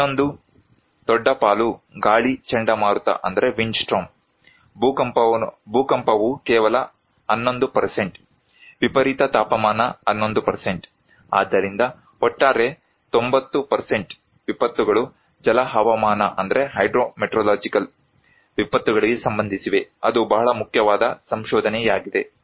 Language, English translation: Kannada, Another one is also big share is the wind storm, earthquake is only 11%, an extreme temperature is 11%, so overall 90% of disasters are related to hydro meteorological disasters, that is very important finding